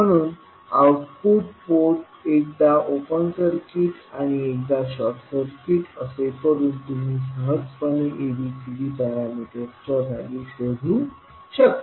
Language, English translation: Marathi, So using the technique of putting output port open circuit and short circuit one by one you can easily find out the values of ABCD parameter